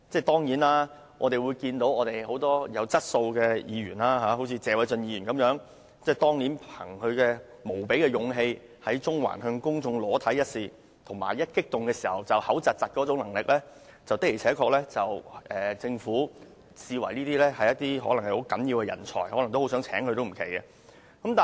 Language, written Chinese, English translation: Cantonese, 當然，我們看到很多具質素的議員，例如謝偉俊議員，憑着他以無比的勇氣在中環向公眾裸露身體一事及激動時出現口吃的能力，或許會被政府視為十分重要的人才而委以一官半職也說不定。, Certainly we do find quite a lot of Members who are of good quality such as Mr Paul TSE . With his unrivalled courageous act of showing his naked body to the public in Central and his ability of stammering when getting emotional he may be regarded as a person of significant talent by the Government and finally appointed as a government official